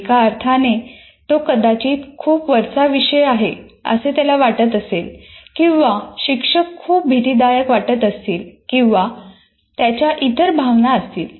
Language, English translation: Marathi, In the sense, he may feel that this subject is too far above, or the teacher is very intimidating or whatever feelings that he have